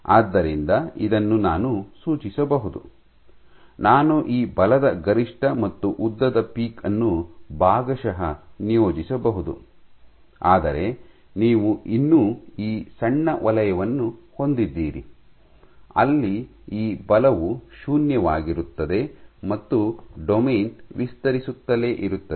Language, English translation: Kannada, So, this I can ascribe, I can assign this force peak and length peak to A partly, but you still have this small zone where this force is 0 and the domain is getting stretched